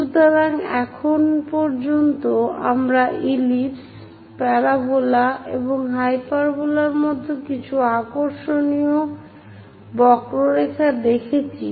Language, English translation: Bengali, So, till now we have looked at very interesting curves like ellipse, parabola and hyperbola